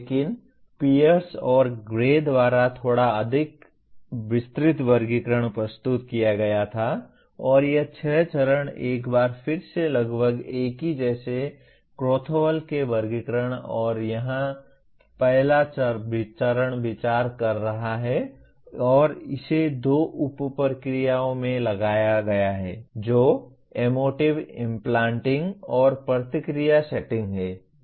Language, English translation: Hindi, But there is a little more elaborate taxonomy was presented by Pierce and Gray and these six stages are again once again approximately the same as Krathwohl’s taxonomy and here the first stage is perceiving and it is further subdivided into two sub processes emotive implanting and response setting